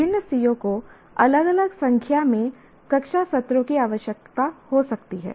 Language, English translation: Hindi, And different COs may require different number of classroom sessions